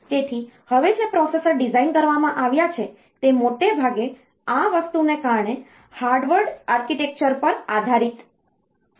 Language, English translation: Gujarati, So, the processors that are designed now, they are mostly based on Harvard architecture because of this thing